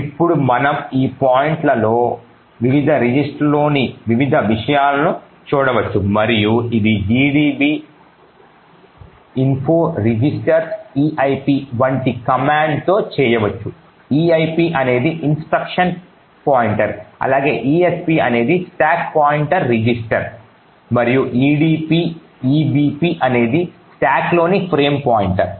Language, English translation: Telugu, Now at this particular point we can look at the various contents of the various registers and this can be done with a command like info registers eip which stands for the instruction pointer, esp which stands for the stack pointer register and the ebp which is the frame pointer in the stack